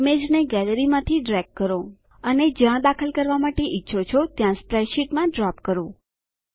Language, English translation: Gujarati, Drag the image from the Gallery and drop it into the spreadsheet where you want to insert it